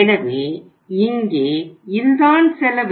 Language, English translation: Tamil, So let us see how we work that cost